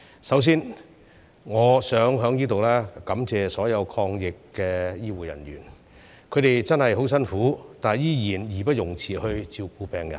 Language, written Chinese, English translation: Cantonese, 首先，我想在此感謝所有抗疫的醫護人員，他們真的十分辛苦，但仍義不容辭照顧病人。, First I would like to express my gratitude to all healthcare workers who have worked so hard in fighting the epidemic . They have a really hard time yet they still faithfully fulfil their duties to take care of the patients